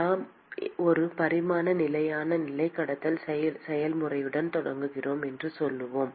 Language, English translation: Tamil, Let us say we start with a one dimensional steady state conduction process